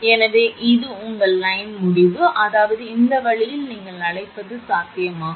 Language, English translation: Tamil, So, this is your line end, that means, this way it is your what you call it is possible